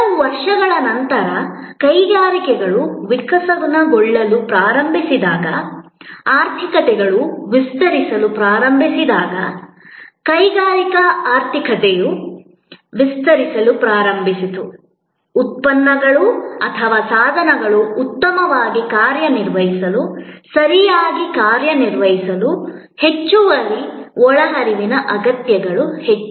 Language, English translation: Kannada, A little later as industries started evolving, as the economies started expanding, the industrial economy started expanding, there were more and more needs of additional inputs to make products or devices function better, function properly